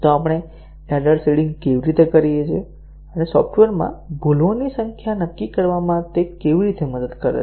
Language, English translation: Gujarati, So, how do we do the error seeding and how does it help us determine the number of bugs in the software